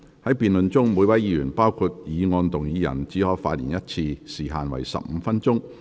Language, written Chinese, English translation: Cantonese, 在辯論中，每位議員只可發言一次，時限為15分鐘。, In this debate each Member may only speak once and for up to 15 minutes